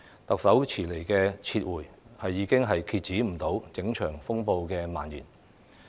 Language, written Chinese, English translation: Cantonese, 特首遲來的"撤回"，已經無法遏止整場風暴蔓延。, The belated withdrawal of the Bill by the Chief Executive has been unable to curb the spread of the turmoil